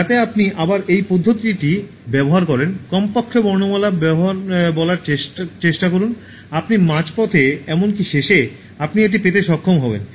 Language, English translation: Bengali, So that again you use this method, at least try to say the alphabets, by the time you reach even midway so you will be able to get it